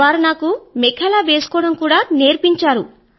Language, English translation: Telugu, And they taught me wearing the 'Mekhla' attire